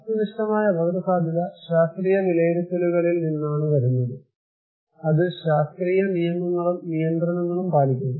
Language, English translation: Malayalam, Objective risk that kind of it comes from the scientific estimations, it follows scientific rules and regulations and laws